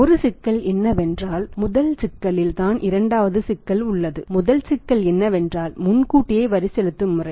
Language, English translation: Tamil, One problem is that and the first problem is there is a second problem; first problem is that is because of the advance tax payment system